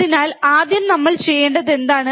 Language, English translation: Malayalam, So, what we have to do first